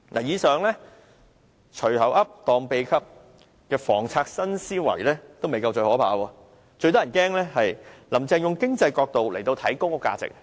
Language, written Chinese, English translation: Cantonese, 以上"隨口噏，當秘笈"的房策新思維也未算最可怕，最可怕的是，"林鄭"從經濟角度來看公屋價值。, That innovative mindset of making reckless remarks regarding the housing policy in not the worst . What is the most horrendous is Carrie LAMs idea that the value of public housing should be weighed from an economic perspective